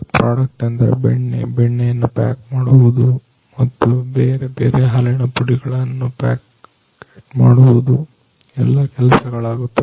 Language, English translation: Kannada, So, products in the form of butter, then packeting of butter and also packeting of the different you know powder milk all these things are done